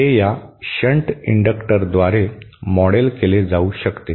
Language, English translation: Marathi, That can be modelled by this shunt inductor